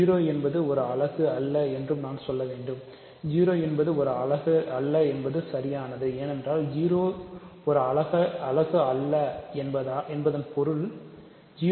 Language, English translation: Tamil, I should also say that 0 is not a unit, but that is obvious right 0 is not a unit, because what is the meaning of 0 not being a unit